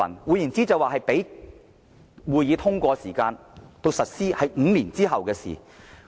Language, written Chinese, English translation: Cantonese, 換言之，由這個項目通過至實施有5年時間。, In other words the project will be completed five years after its approval